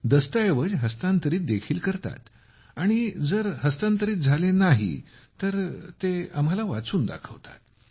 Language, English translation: Marathi, Yes…Yes… We also transfer documents and if they are unable to transfer, they read out and tell us